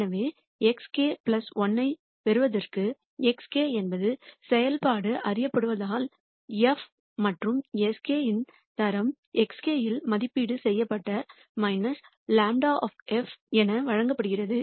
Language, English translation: Tamil, So, to get to x k plus 1 x k is known since the function is known we know also the grad of f and s k is given as the grad of negative grad of f evaluated at x k